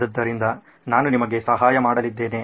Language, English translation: Kannada, So I’m going to help you out with that